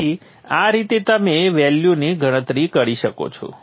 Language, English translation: Gujarati, So this is how you calculate the value of